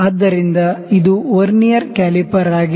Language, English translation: Kannada, So, this was the Vernier caliper